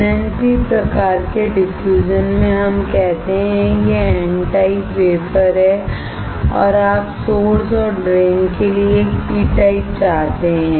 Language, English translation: Hindi, In NNP type of diffusion, let us say, this is N type wafer and you want to create a P type for source and drain